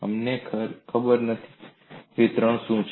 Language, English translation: Gujarati, We do not know, what is the distribution